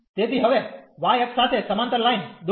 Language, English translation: Gujarati, So, now draw the line parallel to the y axis